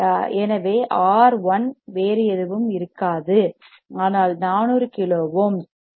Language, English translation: Tamil, So, R 1 will be nothing, but 4 kilo ohms